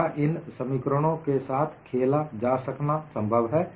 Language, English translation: Hindi, It is possible to play with these expressions